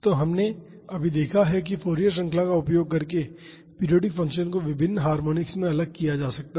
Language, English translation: Hindi, So, we just have seen that the periodic function can be separated into different harmonics using Fourier series